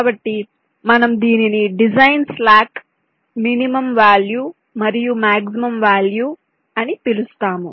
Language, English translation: Telugu, so we call it a design slack, some minimum value and maximum value